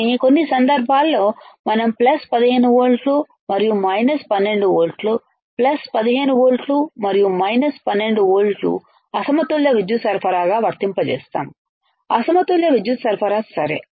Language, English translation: Telugu, But in some cases we will we also apply plus 15 volts and minus 12 volts, plus 15 volts and minus 12 volts that will be my unbalanced power supply, there will be my unbalanced power supply ok